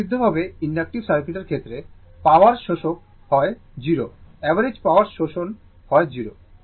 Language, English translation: Bengali, In the in the case of a purely inductive circuit, power absorb is 0 average power absorb is 0